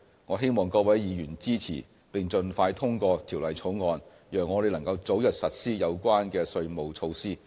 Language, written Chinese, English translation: Cantonese, 我希望各位議員支持，並盡快通過《條例草案》，讓我們能早日實施有關的稅務措施。, I hope all Members will support and pass the Bill as soon as possible for early implementation of the taxation measures